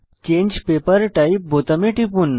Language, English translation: Bengali, Lets click on Change Paper Type button